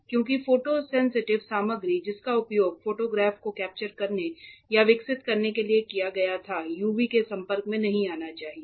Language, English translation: Hindi, Because the photosensitive material that was used for capturing or developing the photograph right should not be exposed to UV and that was the reason